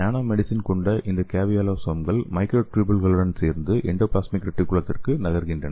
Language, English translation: Tamil, So this caveosomes containing nanomedicine move along with microtubules to the endoplasmic reticulum